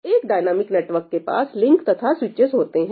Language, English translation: Hindi, So, what is a dynamic network a dynamic network has links and switches